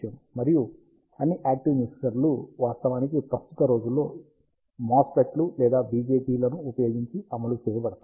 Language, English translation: Telugu, And all the active mixers are actually implemented using MOSFETs or BJTs these days